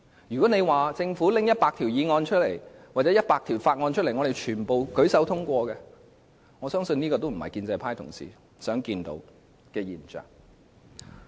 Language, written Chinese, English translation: Cantonese, 如果說政府向本會提交100項議案或法案，全部獲我們舉手通過，我相信這亦非建制派議員想看到的現象。, If the Government introduces 100 motions or bills into this Council and all of which are passed on a show of hands I believe this situation is not what pro - establishment Members would like to see